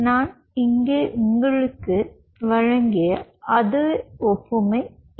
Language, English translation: Tamil, so its the same analogy as i gave you out here